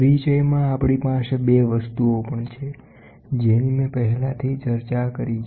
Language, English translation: Gujarati, In introduction, we also have 2 things, which I already discussed